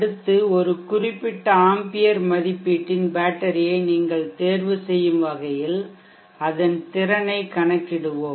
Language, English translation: Tamil, Next let us calculate the capacity of that is required, so that you may chose a battery of a particular ampere rating